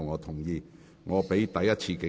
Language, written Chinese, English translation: Cantonese, 這是我第一次警告。, This is my first warning to both of you